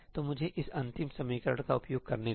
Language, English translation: Hindi, So, let me use this last equation